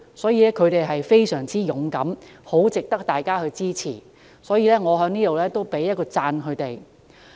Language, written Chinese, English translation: Cantonese, 所以，她們確實非常勇敢，很值得大家支持，我要在此給她們一個讚。, They are indeed very brave and deserve our support and I wish to pay my compliment to them